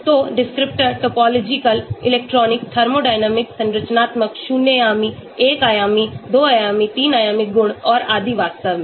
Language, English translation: Hindi, So descriptors, Topological, electronic, thermodynamics, structural, zero dimensional, 1 dimensional, 2 dimensional, 3 dimensional properties and so on actually